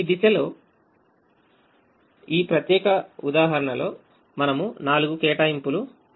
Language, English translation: Telugu, at this stage we are not able to get the four allocations